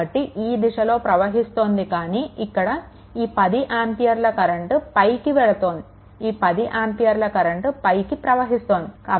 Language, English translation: Telugu, So, we have taken like this, but this 10 ampere it is your upwards this 10 ampere is upward